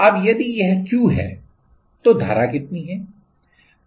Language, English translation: Hindi, Now, if this is Q then what is the current